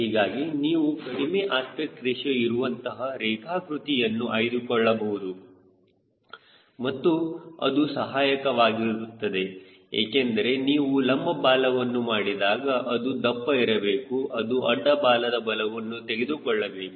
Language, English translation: Kannada, hence you can afford to have lower geometric aspect ratio and that helps because the moment you make a vertical it has to be thicker, it has to take the load of horizontal tail